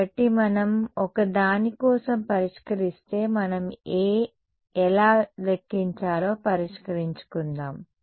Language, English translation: Telugu, So, if we solve for a well we will come to that we will come once let us settle how to calculate A ok